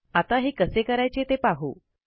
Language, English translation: Marathi, Now let us see how to do so